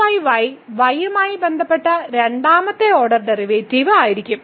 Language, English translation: Malayalam, We are taking the derivative with respect to y